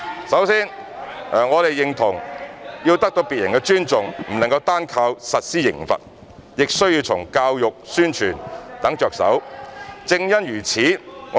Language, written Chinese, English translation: Cantonese, 首先，我們認同要得到別人的尊重，不能單靠實施刑罰，亦要從教育、宣傳等着手，正因如此......, First we agree that we should not rely solely on imposing penalties to command respect from others . Instead we should also start with education and publicity etc . For this reason